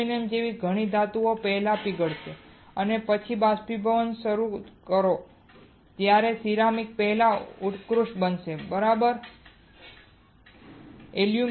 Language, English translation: Gujarati, Many metals such as aluminum will melt first And then start evaporating while ceramics will sublimate first right will sublimate